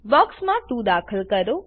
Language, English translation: Gujarati, Enter 2 in the box